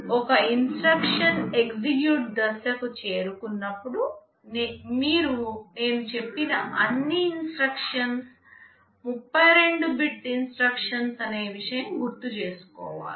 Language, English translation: Telugu, Let us say when an instruction reaches the execute phase, one thing you remember I told you all instructions are 32 bit instructions